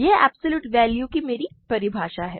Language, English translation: Hindi, This is my definition of absolute value